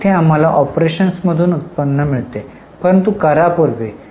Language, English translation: Marathi, Here we get cash generated from operations but before tax